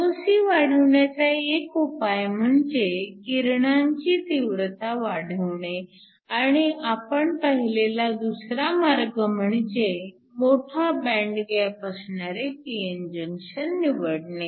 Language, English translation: Marathi, So, One way of increasing Voc is to increase the intensity of the radiation and the other way we saw, was to have a p n junction with a higher band gap